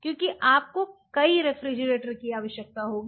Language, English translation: Hindi, Because you will be needing multiple refrigerators